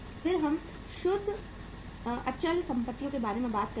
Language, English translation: Hindi, Then we talk about the net fixed assets